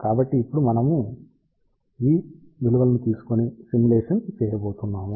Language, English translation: Telugu, So, now, we are going to take these values and do the simulation